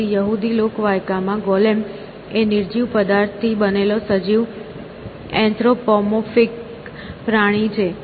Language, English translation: Gujarati, So, in Jewish folklore, a Golem is an animated anthropomorphic creature made out of an inanimate matter